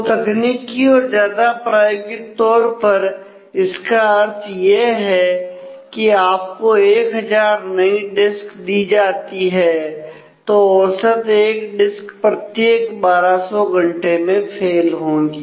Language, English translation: Hindi, So, what it in technical in in more practical terms, what it means that if you are given thousand relatively new disks then on average one of them will fail every twelve hundred hours